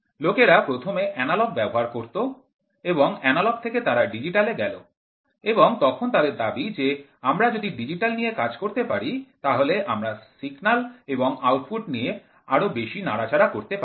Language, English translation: Bengali, People first started moving from first used analog, from analog they went to digital and they said while if you go the digital we have more options to play with the signal and the output